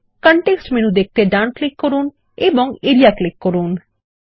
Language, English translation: Bengali, Right click to view the context menu and click Area